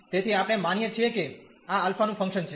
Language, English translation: Gujarati, So, we assume that this is a function of alpha